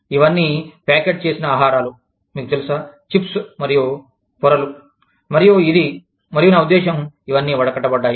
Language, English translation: Telugu, All these, packeted foods, you know, chips, and wafers, and this, and that, i mean, all of this, has percolated